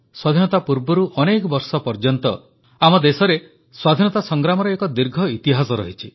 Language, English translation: Odia, Prior to Independence, our country's war of independence has had a long history